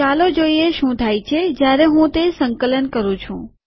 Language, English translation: Gujarati, Lets see what happens when I compile it